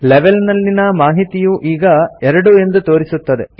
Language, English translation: Kannada, The Data of Level field now displays 2